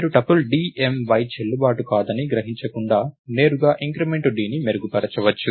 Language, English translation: Telugu, You may go and improve increment d directly without realizing that the tuple d, m, y is not valid